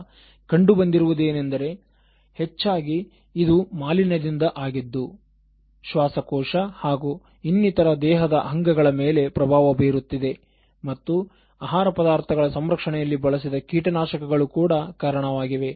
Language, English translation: Kannada, Now, it was found that mostly it is going to pollution which is affecting their lungs and then other body parts and pesticides which are used in food products, preservatives which are used in food products, so they are also responsible